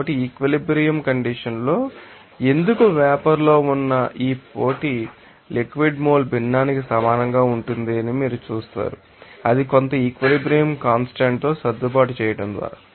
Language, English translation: Telugu, So, at equilibrium condition, you will see that this competition in why i that is in vapor that will be you know equal to that you know mole fraction of you know liquid just by you know that just adjusting with some equilibrium constant